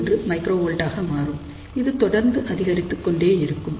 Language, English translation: Tamil, 21 microvolt, now as it keeps on building up